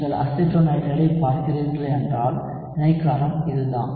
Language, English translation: Tamil, If you are looking at acetonitrile, this is the base that you are talking about